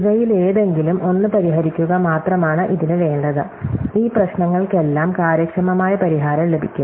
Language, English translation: Malayalam, So, all it takes is solve any one of these and all of these problems will then have an efficient solution